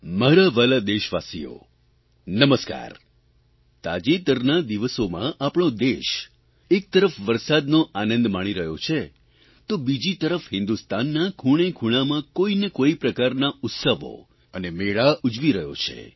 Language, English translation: Gujarati, On the one hand, these days, our country is enjoying the feast of rains; on the other, every corner of the country is celebrating festivals and fairs